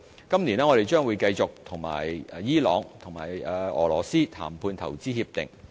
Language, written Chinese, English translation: Cantonese, 今年，我們將繼續與伊朗及俄羅斯談判投資協定。, We will continue the IPPA negotiations with Iran and Russia this year